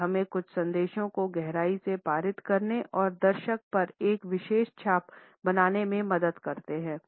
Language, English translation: Hindi, They help us to pass on certain messages in a profound manner and create a particular impression on the viewer